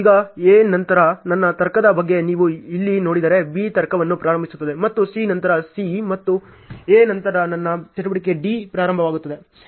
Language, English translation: Kannada, Now, if you see here what about my logic after A after A, B is starting the logic is maintained and after C after C and A my activity D is starting